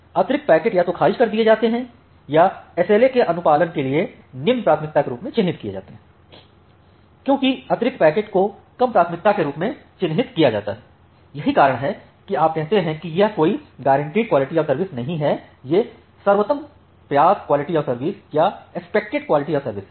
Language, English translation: Hindi, The excess packets are either discarded or marked as low priority to comply with a SLA because the excess packets are marked as low priority that is why you say it is not a guaranteed QoS rather a expected QoS or the best effort QoS